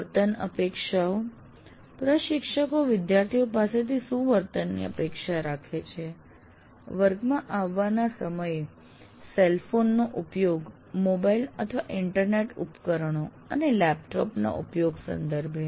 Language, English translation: Gujarati, And behavior expectations, instructors expectations of students' behavior with regard to the timing of coming into the class, usage of cell phone, mobile internet devices, laptops, etc